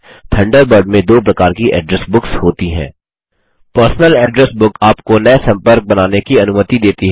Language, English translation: Hindi, There are two types of Address Books in Thunderbird: Personal address book allows you to create new contacts